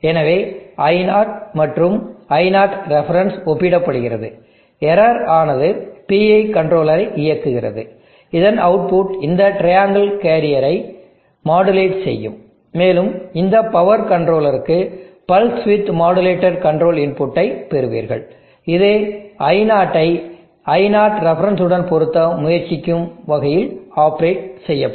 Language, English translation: Tamil, So I0 and I0 reference, are compare the error is driving the PI controller, the output of which will modulate this triangle carrier and you get the modulated control input to this power convertor which will operate in a manner such that I0 will try to match I0 ref